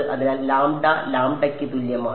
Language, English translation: Malayalam, So, lambda is equal to lambda naught by